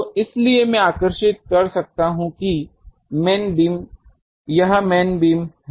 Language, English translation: Hindi, So, so I can draw these that this is the main beam